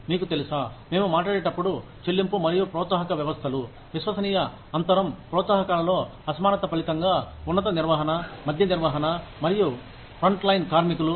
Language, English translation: Telugu, You know, when we talk about, pay and incentive systems, trust gap occurs, as a result of disparity in the incentives, between top management, middle management, and frontline workers